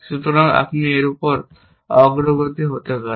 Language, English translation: Bengali, So, you could progress over it